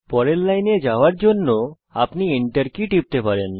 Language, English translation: Bengali, You can press the Enter key to go to the next line